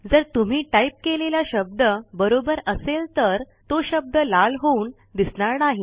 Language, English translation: Marathi, If you type the words correctly, the word turns red and vanishes